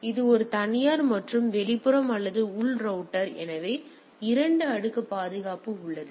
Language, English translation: Tamil, So, it is a private and a this is the external and this is the internal router so; that means, 2 layer protection is there